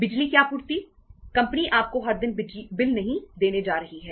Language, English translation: Hindi, Electricity supply, company is not going to give you the bill every day